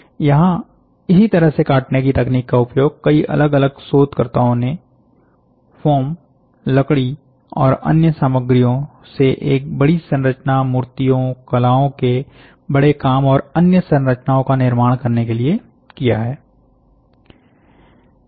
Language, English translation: Hindi, This and similar cutting techniques have been used by many different researchers to build a large structures from foam, wood, and other materials to form statues, large work of arts, and other structures